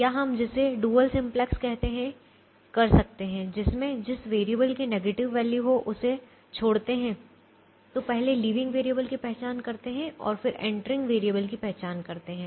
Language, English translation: Hindi, or we could do the what is called the dual simplex way by first a leaving, a variable that has a negative value, so first identifying the leaving variable and then identifying the entering variable